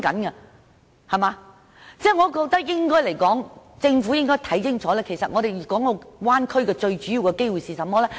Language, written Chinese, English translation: Cantonese, 我覺得政府應該看清楚大灣區最主要的機會是甚麼？, I think the Government should see clearly what major opportunities the Bay Area can offer